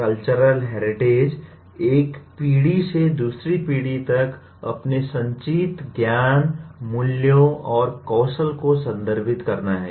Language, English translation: Hindi, “Cultural heritage” refers to its accumulated knowledge, values and skills from one generation to the other